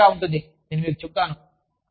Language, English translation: Telugu, It is fun, i am telling you